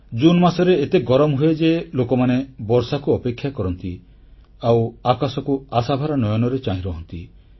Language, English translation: Odia, The month of June is so hot that people anxiously wait for the rains, gazing towards the sky for the clouds to appear